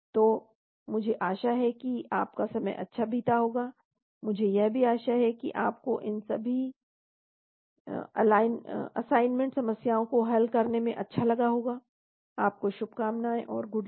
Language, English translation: Hindi, So I hope you have a good time, I also hope you had a good time solving all these assignment problems , good luck to you, and all the best